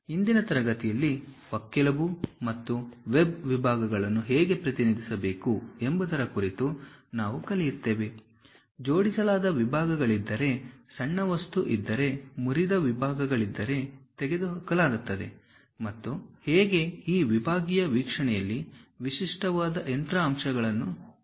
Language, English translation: Kannada, In today's class, we will learn about how to represent rib and web sections; if there are aligned sections, if there is a small material is removed by brokenout sections and how typical machine elements in this sectional view be represented